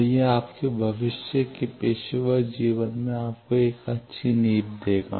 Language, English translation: Hindi, So, it will give you a good foundation in your future professional life